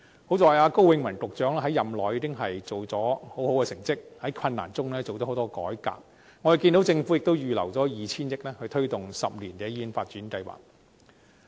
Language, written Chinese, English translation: Cantonese, 幸好，高永文局長在任內已做出很好的成績，在困難中進行了很多改革，我們看見政府已預留 2,000 億元推動10年醫院發展計劃。, Fortunately Secretary Dr KO has achieved good results during his tenure and carried out many reforms amid difficulties . We can see that the Government has earmarked 200 billion for the promotion of a 10 - year Hospital Development Plan